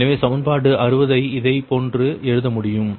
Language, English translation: Tamil, so equation sixty can be a written as right